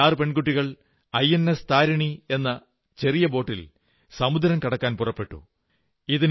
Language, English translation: Malayalam, These six young women will embark on a voyage across the seas, in a small boat, INS Tarini